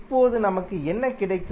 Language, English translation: Tamil, Now, what we get